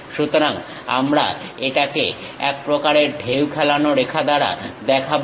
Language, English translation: Bengali, So, we show it by a kind of wavy kind of line